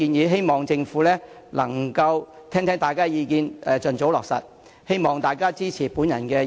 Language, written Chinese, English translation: Cantonese, 我希望政府能夠聽取大家的意見，盡早落實有關建議。, I hope the Government can listen to Members views and implement the proposals as soon as possible